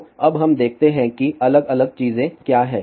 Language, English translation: Hindi, So now let just look at what are the different thing